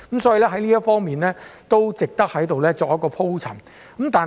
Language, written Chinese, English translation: Cantonese, 所以，這方面是值得我在此作出鋪陳的。, Therefore my elaboration in this aspect here is worthwhile